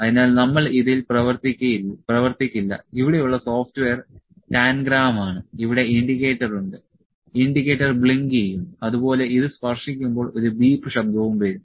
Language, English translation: Malayalam, So, we will not work on this, the software here is Tangram, have the indicator here, indicator would blink and when this will touch and also a beep voice would come